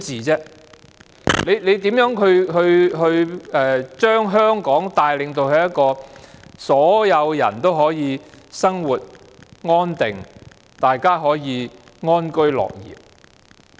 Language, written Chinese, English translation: Cantonese, 這樣如何能把香港帶領到一個所有人都可以生活安定，可以安居樂業的地方？, By doing so how can the Government lead Hong Kong to a place where everyone can lead a settled life and live and work in peace and contentment?